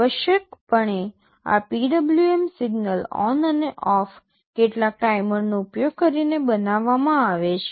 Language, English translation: Gujarati, Essentially this PWM signals, ON and OFF, are generated using some timers